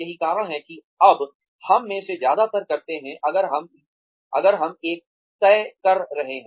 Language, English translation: Hindi, That is what, most of us do now, if we are in a fix